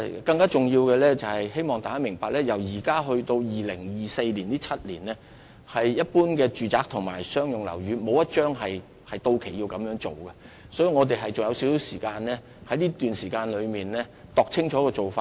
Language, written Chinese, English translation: Cantonese, 更重要的是，希望大家明白，由現時至2024年的7年間，沒有任何一般商住契約期滿需要續期，所以我們仍有少許時間可以細心研究做法。, More importantly I hope Members would understand that within the seven years between now and 2024 no lease for general commercial and residential purpose will expire . This means that we still have some time to carefully explore the feasible approaches